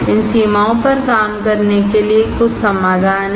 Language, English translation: Hindi, There are some solutions to work on these limitations